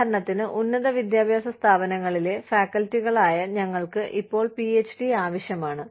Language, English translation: Malayalam, For example, we the faculty in institutes of higher education, are required to have a PhD, now